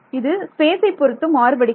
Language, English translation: Tamil, So, that it varies with space